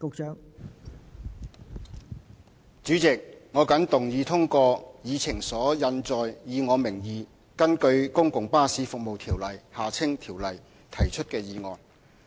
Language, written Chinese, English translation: Cantonese, 代理主席，我謹動議通過議程所印載，以我名義根據《公共巴士服務條例》提出的議案。, Deputy President I move that the motion under my name and proposed pursuant to the Public Bus Services Ordinance as printed on the Agenda be passed